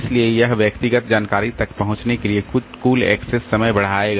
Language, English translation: Hindi, So, this is that will increase the total time to access the individual information